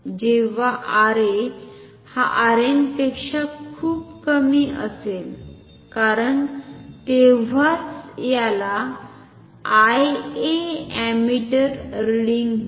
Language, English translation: Marathi, Only if R A is much less than R n, when R A is much much less than R n because then so, call this I A ammeter reading